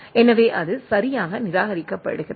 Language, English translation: Tamil, So, it is correctly discarded right